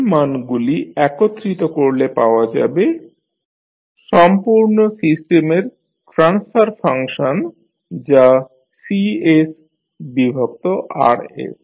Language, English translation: Bengali, You now compile the value that is the transfer function of the complete system that is Cs upon Rs